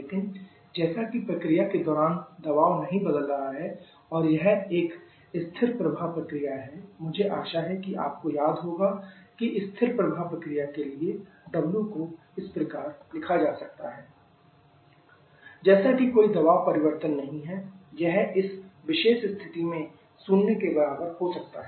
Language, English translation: Hindi, But as the pressure is not changing during the process and this being a steady flow process I hope you remember that for a steady flow process w can be written as integral minus v dP from state 1 to state 2 another is no pressure change this can be equal to zero in this particular situation